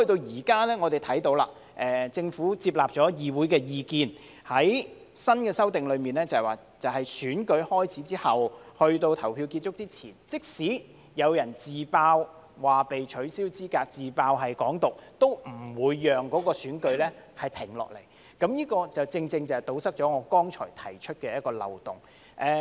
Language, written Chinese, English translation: Cantonese, 現在我們看到，政府接納議會的意見，在新的修正案中訂明在選舉開始後，在投票結束之前，即使有人因"自爆"被取消資格——"自爆"是"港獨"——都不會令選舉停下來，這正正堵塞了我剛才指出的漏洞。, Now we see that the Government has accepted the views of this Council . In the new amendment it is stipulated that after the election is started but before the close of polling for the election in case of disqualification of a candidate due to his self - revelation―revealing that he supports Hong Kong independence―the election will not be terminated . This has rightly plugged the loophole I pointed out just now